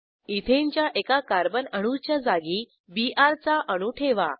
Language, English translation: Marathi, Replace one Carbon atom of Ethane with Br